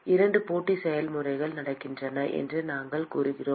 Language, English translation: Tamil, We said there are 2 competing processes which are occurring